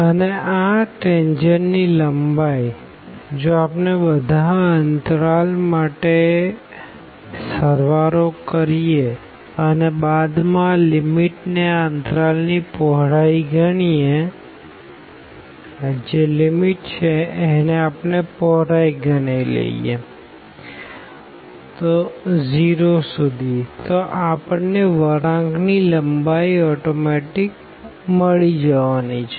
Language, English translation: Gujarati, And this tangent the length of this tangent, if we add for all the intervals and later on we take the limit as the width of these intervals go to 0 in that case we will end up with getting the curve length